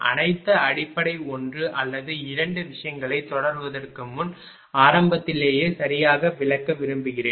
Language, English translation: Tamil, Before proceeding all the basic one or two thing I would like to explain at the beginning itself right